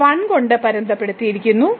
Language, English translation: Malayalam, So, this is bounded by 1